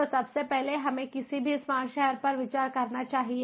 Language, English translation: Hindi, so, first of all, let us consider any smart city